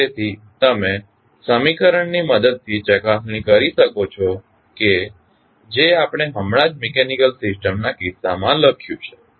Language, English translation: Gujarati, So, you can cross verify with the help of the equation which we just written in case of the mechanical system